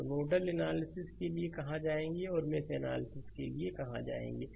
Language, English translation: Hindi, So, where you will go for nodal analysis and where will go for mesh analysis look